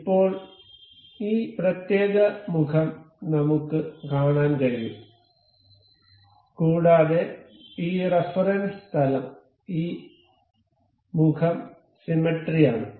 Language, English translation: Malayalam, So, now, we can see this particular face and this face is symmetric about this plane of reference